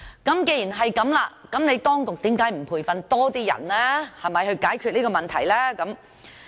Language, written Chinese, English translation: Cantonese, 既然如此，為何當局不培訓更多人來解決這問題呢？, Given this situation why do the authorities not train more personnel to resolve this problem?